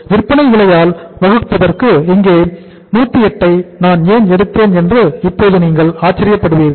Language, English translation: Tamil, Now you will be wondering why I have taken the 108 here to be divided by the selling price